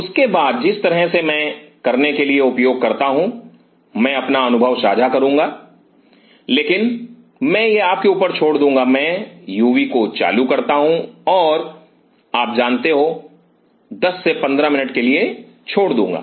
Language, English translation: Hindi, After that the way I use to do I will share my experience, but I will leave it up to you I use to switch on the UV and leave it on for you know 10 to 15 minutes